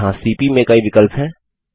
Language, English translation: Hindi, There are many options that go with cp